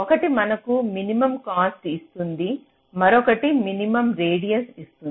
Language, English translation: Telugu, one will give you minimum radius, other will give you minimum cost